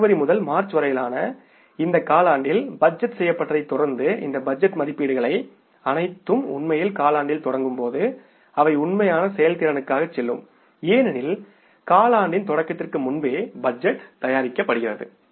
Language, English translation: Tamil, Following this, say budgeted, these budgeted estimates, they will go for the actual performance when the quarter will actually start because budget is prepared before the beginning of the quarter